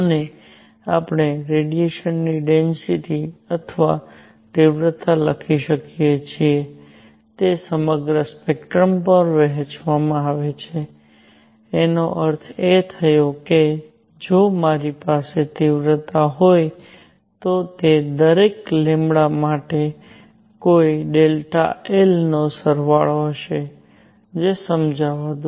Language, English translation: Gujarati, And the radiation we can write the radiation density or intensity is distributed over the entire spectrum; that means, if I have the intensity I, it will be summation of some delta I for each lambda; let me explain